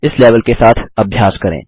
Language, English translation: Hindi, Practice with this level